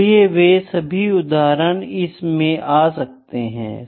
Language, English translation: Hindi, So, all those examples can also be taken into account